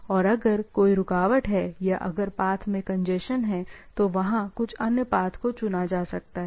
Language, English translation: Hindi, And if there is a interruption or, if there is a some congestion in the path, so, there some other paths can be chosen etcetera